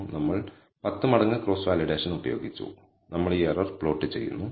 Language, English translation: Malayalam, We have used a 10 fold cross validation and we are plotting this error